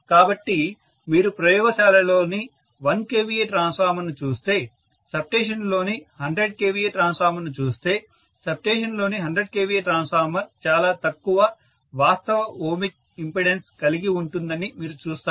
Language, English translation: Telugu, So if you look at the 1 kVA transformer in the lab, vis à vis the 100 kVA transformer in a substation, you would see invariably that 100 kVA transformer in the substation will have much smaller actual ohmic impedance